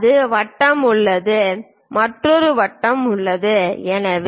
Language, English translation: Tamil, There is a circle there is another circle there is another circle and so, on